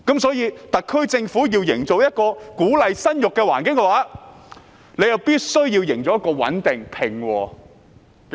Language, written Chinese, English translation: Cantonese, 所以，特區政府要營造一個鼓勵生育的環境，必須營造一個穩定而平和的社會。, Therefore the SAR Government has to create an environment that encourages childbirth as well as a stable and peaceful society